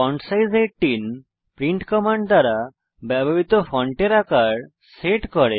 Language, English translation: Bengali, fontsize 18 sets the font size used by print command